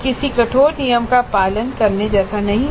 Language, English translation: Hindi, Again this is nothing like any rigid rule to be followed